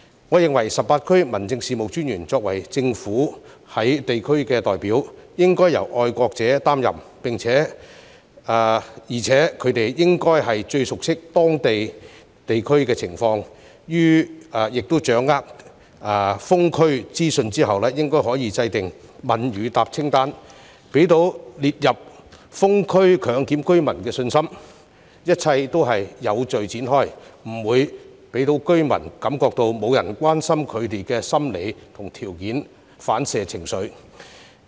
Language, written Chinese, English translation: Cantonese, 我認為18區民政事務專員作為政府在地區的代表，應該要由愛國者擔任，而且他們應該最熟悉當區情況，當掌握封區資訊後可以制訂"問與答清單"，讓被列入封區強檢居民有信心，明白一切都是有序展開，不會讓居民感覺沒有人關心他們的心理和條件反射情緒。, In my opinion being the district representatives of the Government the 18 District Officers should be patriots who are most familiar with the situation of the districts . Once they get hold of the information on lockdowns they can draw up a list of questions and answers to enable residents within the areas locked down for compulsory testing to rest assured and understand that everything will be carried out orderly . In that case the residents will not feel that nobody cares about their psychology and conditioned emotional reactions